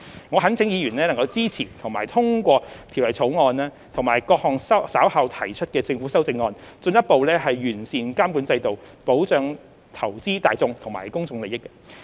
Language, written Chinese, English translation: Cantonese, 我懇請議員支持及通過《條例草案》及各項稍後提出的政府修正案，進一步完善監管制度，保障投資大眾和公眾利益。, I implore Members to support and pass the Bill and the government amendments to be proposed later so as to further improve the regulatory regime and protect the interests of the investing public and the public